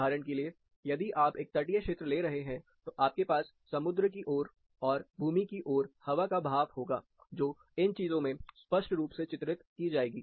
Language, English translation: Hindi, For example, if you are taking a coastal area, you will have clear phenomena of the seaward, and land side wind movement, which will be clearly depicted in these things